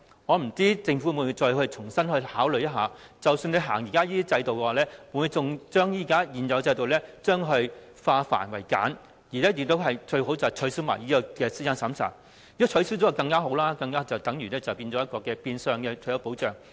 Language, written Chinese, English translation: Cantonese, 我不知道政府會否重新考慮，即使繼續推行這制度，會否把現有制度化繁為簡，最好可以取消資產審查，如果可以取消便更好，因為這變相等於退休保障。, I do not know if the Government will reconsider this . Even if this system will continue to be implemented will the Government streamline the complicated procedures of the existing system or at best abolish the means test requirement? . It would be better if the means test could be abolished for this would be a kind of de facto retirement protection